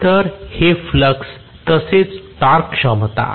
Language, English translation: Marathi, So, this is flux as well as torque capability